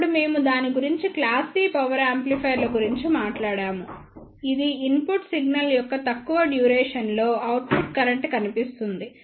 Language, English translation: Telugu, Then we talked about it class C power amplifiers which show that the output current appears for very less duration of the input signal